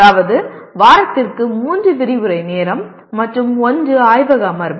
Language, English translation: Tamil, That is 3 lecture hours and 1 laboratory session per week